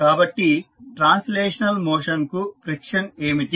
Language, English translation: Telugu, So, what is the friction for translational motion